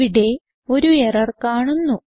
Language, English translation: Malayalam, we see that there is an error